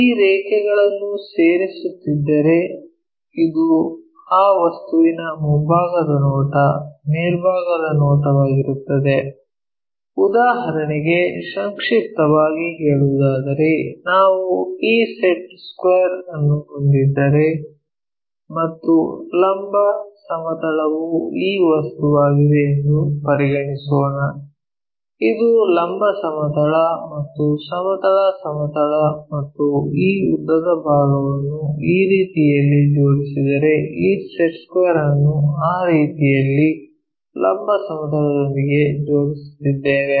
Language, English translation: Kannada, If we are joining these lines this is the front view top view of that object, just to summarize for example, if we have this set square this is the one and let us consider the vertical plane is this object if this is the vertical plane and this is the horizontal plane and this longest one if it is aligned in this way the set square, this set square we are aligning it with the vertical plane in that way